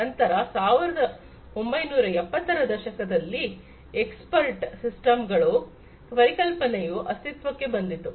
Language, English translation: Kannada, Then you know in the 1970s the concept of expert systems came into being